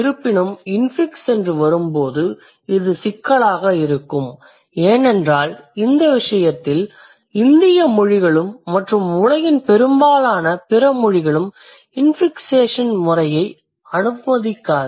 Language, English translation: Tamil, However, when the matter comes to infixes, it is going to be a problem because Indian languages for that matter, most of the world's languages, they do not allow infixation system